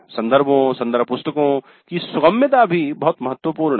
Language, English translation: Hindi, Access to references, reference books and all, that is also very important